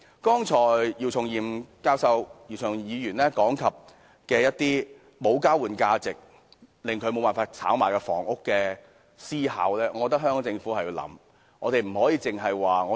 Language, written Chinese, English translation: Cantonese, 剛才姚松炎議員提到一些因無交換價值而無法炒賣的房屋，我覺得香港政府應予考慮。, Dr YIU Chung - yim has just now talked about some flats that have no speculation value because they cannot be traded . I think the Government should give due consideration to this idea